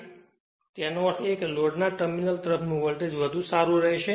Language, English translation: Gujarati, So that means, voltage across the terminal of the load will be better right